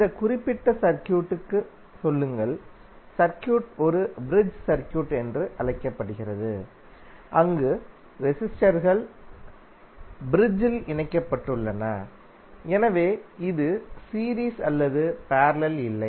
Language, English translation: Tamil, Say in this particular circuit if you see the circuit is called a bridge circuit where the resistances are connected in bridge hence this is not either series or parallel